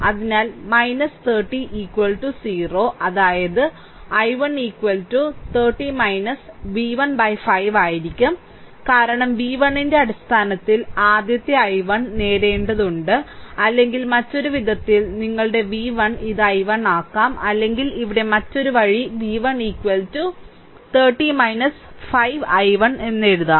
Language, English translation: Malayalam, So, minus 30 minus 30 is equal to 0 right that means my i 1 will be is equal to 30 minus v 1 divided by 5 right, because, we have to obtain first i 1 in terms of v 1 right; or in other way other way I can make that your v 1 this is i 1, or other way here I am writing v 1 is equal to your 30 minus 5 i 1